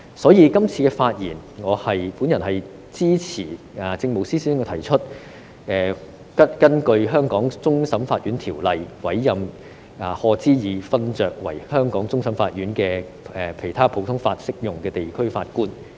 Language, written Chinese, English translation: Cantonese, 所以，我今次發言支持政務司司長提出，根據《香港終審法院條例》委任賀知義勳爵為香港終審法院的其他普通法適用地區法官。, Therefore this time I speak in support of the appointment of Lord HODGE as a judge from another common law jurisdiction of CFA in accordance with HKCFAO as proposed by the Chief Secretary for Administration